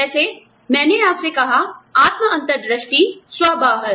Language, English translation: Hindi, Like i told you, self insight, self outside